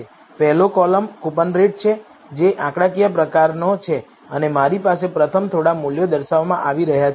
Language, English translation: Gujarati, The first column being coupon rate, which is of the type numeric and I have the first few values being displayed